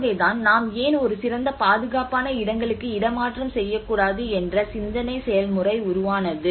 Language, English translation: Tamil, So that is where the thought process of why not we relocate to a better place; a safer places